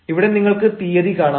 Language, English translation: Malayalam, here you can find the date